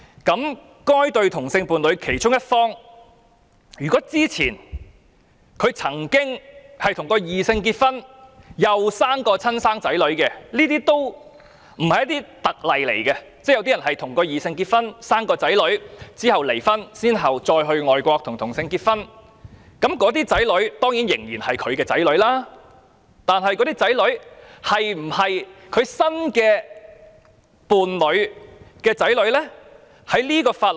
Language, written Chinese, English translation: Cantonese, 如果這對同性伴侶的其中一方之前曾與異性伴侶結婚並誕下親生子女——這不算特別例子，有些人曾與異性伴侶結婚並育有子女但其後離婚，再到外國與同性伴侶結婚——那些子女當然是他的子女，但他的子女是否其新同性伴侶的子女呢？, However if one party in this same - sex couple had a heterosexual marriage in the past and gave birth to natural children―this is not a special case; some people might once have a heterosexual marriage and thus have natural children but they later divorced and married a same - sex partner overseas―these children are of course hisher children but are they the children of hisher new same - sex partner?